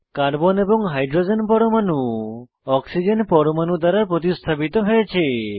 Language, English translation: Bengali, Carbon and Hydrogen atoms will be replaced by Oxygen atom